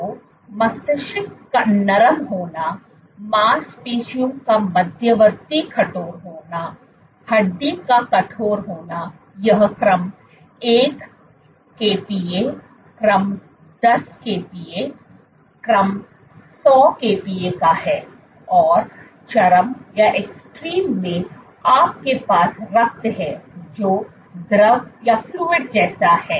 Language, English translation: Hindi, So, brain being soft, muscle being intermediate stiffness bone being stiff, so this is order 1 kPa, order 10 kPa, order 100 kPa; and in the extreme you have blood which is fluid like